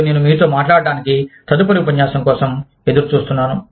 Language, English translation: Telugu, And, I look forward, to talking to you, in the next lecture